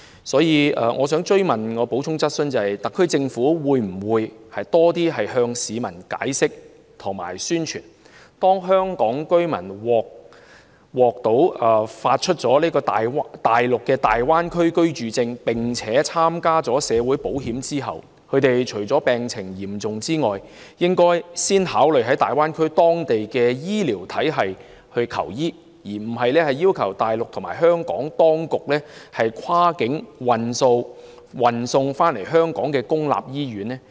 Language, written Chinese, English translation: Cantonese, 所以，我的補充質詢是，特區政府會否多向市民解釋及宣傳，香港居民如獲發內地的大灣區居住證，並且參加內地的社會保險，除非病情嚴重，他們應先考慮在大灣區的醫療體系求醫，而非要求大陸和香港當局跨境運送回香港的公營醫院？, Hence here is my supplementary question . Will the SAR Government explain and promote more to the public the message that Hong Kong residents with a Residence Permit in the Greater Bay Area and participated in Mainland social security scheme instead of requesting the Mainland and Hong Kong authorities for cross - boundary transfer to public hospital treatment in Hong Kong should first consider seeking medical attention at the medical systems in the Greater Bay Area with the exception of those in critical condition?